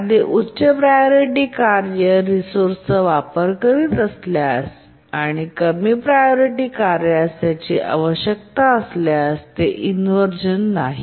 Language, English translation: Marathi, If a higher priority task is using a resource, the lower priority task need to wait